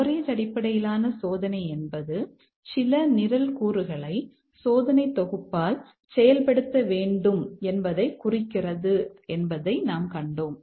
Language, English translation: Tamil, We had seen that coverage based testing implies that certain program elements should be executed by the test suit